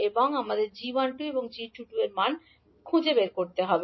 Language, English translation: Bengali, Now we need to find out the value of g12 and g22